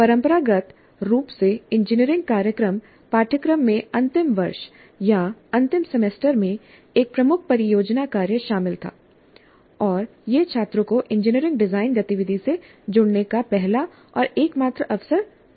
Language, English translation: Hindi, Traditionally, engineering program curricula included a major project work in the final year or final semester and this was the first and only opportunity provided to the students to engage with engineering design activity